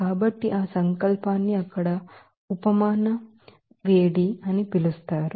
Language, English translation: Telugu, So, that will that will be called as heat of sublimation there